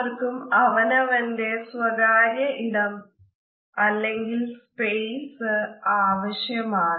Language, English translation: Malayalam, Everyone needs their own personal space